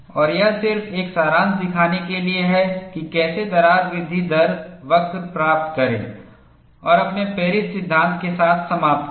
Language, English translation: Hindi, And this is just to show a summary, how to get the crack growth rate curve and end with your Paris law